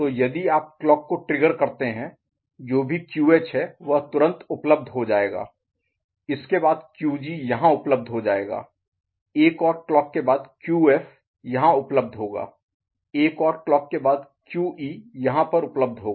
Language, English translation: Hindi, So, if you keep you know, triggering the clock so whatever is QH is immediately available, after that the QG will become available here, after one more clock QF will be available here, after another clock QE will be available here ok